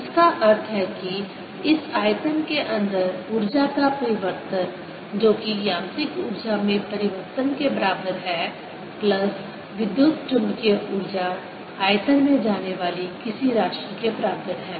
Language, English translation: Hindi, this means that the change of the energy inside this volume, which is equal to the change in the mechanical energy plus the electromagnetic energy, is equal to something going into the volume